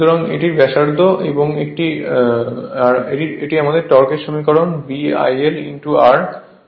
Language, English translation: Bengali, So, this is my torque equation B I l into r Newton metre